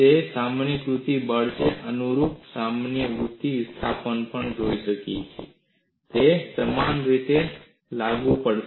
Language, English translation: Gujarati, It could also be a generalized force and corresponding generalized displacement; it is equally applicable